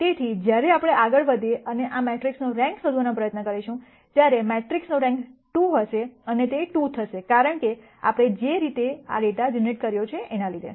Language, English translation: Gujarati, So, when we go ahead and try to nd the rank of this matrix, the rank of the matrix will turn out to be 2 and it will turn out to be 2 because, of the way we have generated this data